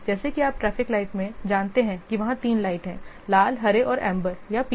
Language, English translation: Hindi, As you know, in traffic light there are three lights are there, red, green and amber or yellow